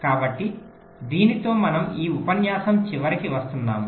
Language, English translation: Telugu, so with this ah, we come to the end of this lecture